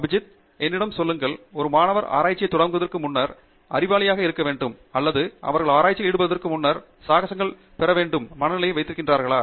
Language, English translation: Tamil, Abhijith, just tell me, is it necessary or important for a student to be super intelligent before they take up research or they should be getting into adventures before they can get into research